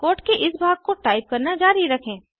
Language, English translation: Hindi, Continue to type this part of the code